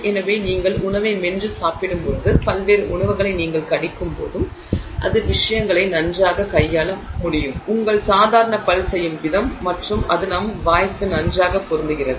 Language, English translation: Tamil, It has got excellent strength and so when you know chew on food and you bite on to various food it is able to handle things very well just the way your normal tooth would do and it fits very well to our mouth